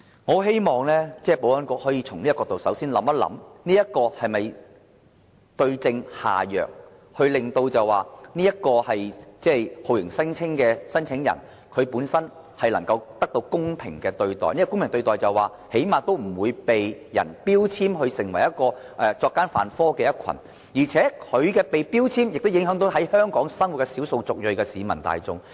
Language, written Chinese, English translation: Cantonese, 我希望保安局可以首先從這個角度，想想能否對症下藥，令到酷刑聲請人本身能得到公平對待，最低限度不被標籤為作奸犯科的一群，而這種標籤亦會影響在香港生活的少數族裔人士。, I wish the Security Bureau can start from this perspective and explore the way to address the root causes in order to ensure a fair treatment to torture claimants . At lease they should not be stigmatized as criminals . Such a label will also affect the ethnic minorities living in Hong Kong